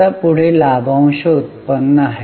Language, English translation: Marathi, Now the next one is dividend yield